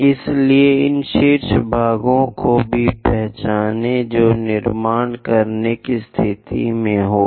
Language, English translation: Hindi, So, that identify these top portions also, one will be in a position to construct that